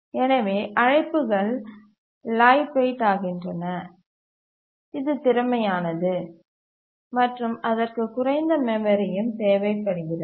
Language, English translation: Tamil, Therefore, the calls become lightweight that is efficient and require also less memory